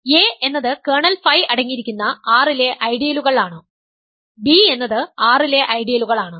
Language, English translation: Malayalam, A is the ideals in R containing kernel phi, B is ideals in R and we are also told what are the functions